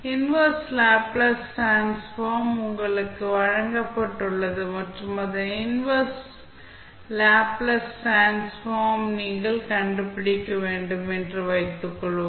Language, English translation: Tamil, Suppose, the inverse Laplace transform Fs is given to you and you want to find out its inverse Laplace transform